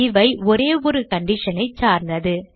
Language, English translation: Tamil, These are based on a single condition